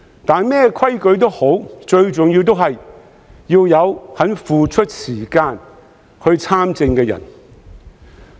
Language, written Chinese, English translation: Cantonese, 但無論甚麼規則也好，最重要仍是要有肯付出時間參政的人。, But what the rules are it is most crucial to have people who are willing to devote their time to participate in politics